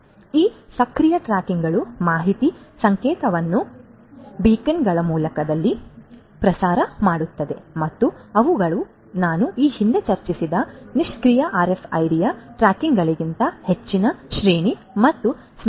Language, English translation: Kannada, So, these tags our active tags would broadcast the information signal in the form of beacons and they have longer range and memory than the passive RFID tags that I discussed previously